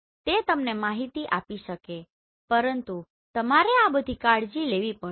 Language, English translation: Gujarati, So it can give you the information, but you need to take care of all this